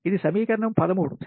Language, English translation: Telugu, this is equation thirteen